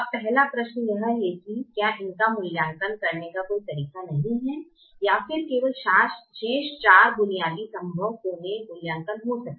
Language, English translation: Hindi, now, is there a way not to evaluate them at all and evaluate only the remaining four basic feasible corner points